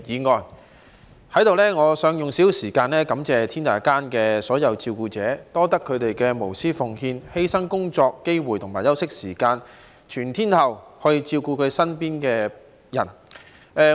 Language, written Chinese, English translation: Cantonese, 在此，我想用少許時間感謝天下間所有照顧者，感謝他們無私奉獻、犧牲工作機會和休息時間，全天候照顧身邊人。, I would like to spend some time thanking all carers in the world for their selfless dedication sacrificing their job opportunities and rest time to take care of people around them round - the - clock